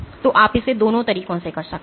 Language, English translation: Hindi, So, you can do it in both ways